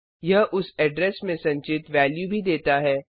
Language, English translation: Hindi, It also gives value stored at that address